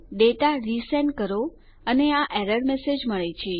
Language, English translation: Gujarati, Resend the data and we get this error message